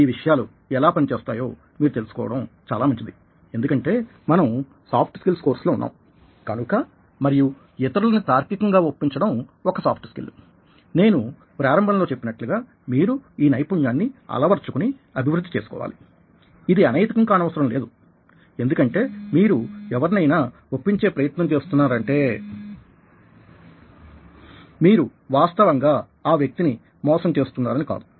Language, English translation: Telugu, but it's good to know about the way that these things operate and there is a reason behind that, the reason being that we are in a course on soft skills, and persuading people is a soft skill which you need to build up and develop and, as i have said right at the beginning, it is not necessary unethical, because when you are trying to persuade somebody, you are not actually cheating that person